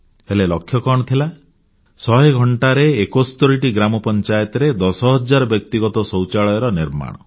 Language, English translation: Odia, To construct 10,000 household toilets in 71 gram panchayats in those hundred hours